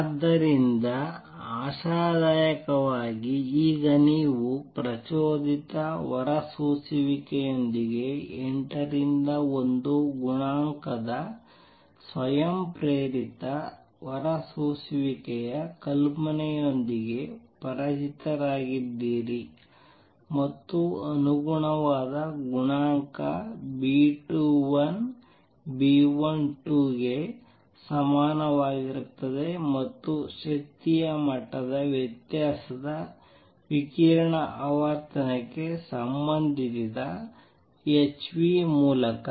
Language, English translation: Kannada, So, hopefully by now you are getting familiar and comfortable with the idea of spontaneous emission there coefficient 8 to 1 with the stimulated emission and the corresponding coefficient B 21 and B 21 is equal to B 12 and the energy level difference is related to the frequency of radiation is through h nu